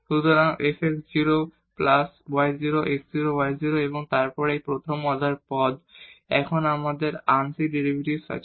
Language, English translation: Bengali, So, f x 0 plus y 0 x 0 y 0 and then these are the first order terms, now we have the partial derivative